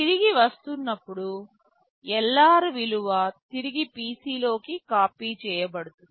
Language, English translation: Telugu, When you are coming back, the value of LR will be copied back into PC